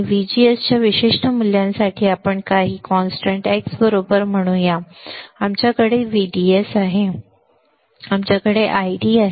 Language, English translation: Marathi, For a particular value of VGS let us say VGS is let us say some constant x right we have VDS we have I D